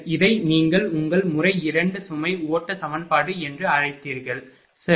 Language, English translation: Tamil, This is your what you call that your that method 2 load flow equation, right